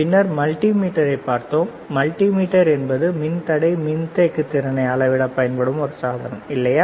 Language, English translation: Tamil, Then we have seen multimeter; multimeter is a device that can be used to measure resistance, capacitance, right